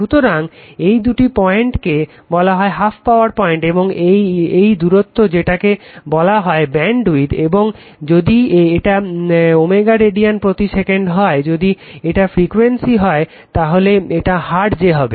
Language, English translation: Bengali, So, this two point call half power point and the and this distance which we call bandwidth right, and this is if it is omega radian per second if it is frequency then it will be in hertz, so